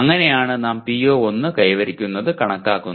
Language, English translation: Malayalam, That is how we compute the attainment of PO1